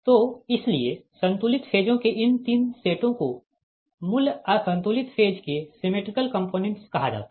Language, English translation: Hindi, so therefore these three sets of balanced phasors are called symmetrical components of the original unbalanced phasor